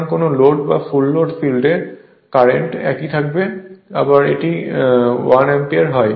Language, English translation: Bengali, So, at no load or full or at this load field current will remain same, again it is 1 ampere